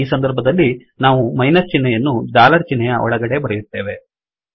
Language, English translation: Kannada, In this case, we write the minus sign here inside the dollar sign